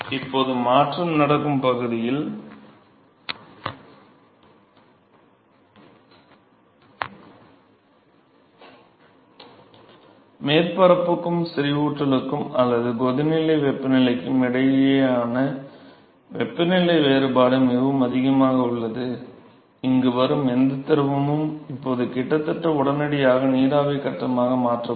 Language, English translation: Tamil, Now in transaction region, the temperature difference between the surface and the saturation or the boiling point temperature is so, high, that whatever fluid that comes here is now going to be almost instantaneously converted into vapor phase